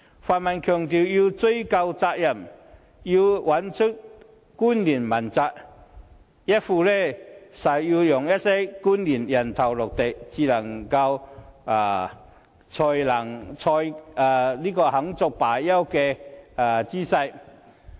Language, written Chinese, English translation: Cantonese, 泛民強調要追究責任，找出官員問責，一副誓要讓一些官員"人頭落地"才肯罷休的姿勢。, The pan - democrats have vowed to hold the relevant officials accountable showing a determination that certain officials must step down